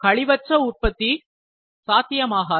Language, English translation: Tamil, Zero waste is never possible